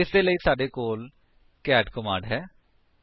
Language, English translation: Punjabi, For this, we have the cat command